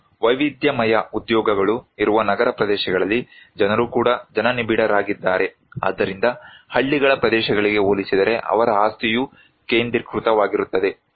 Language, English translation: Kannada, And also in a city areas where diverse occupations are there, people are also densely populated so, their property is also concentrated compared to in the villages areas